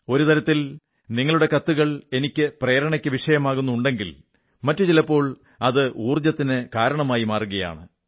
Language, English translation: Malayalam, One way, a letter from you can act as a source of inspiration for me; on the other it may turn out to be a source of energy for me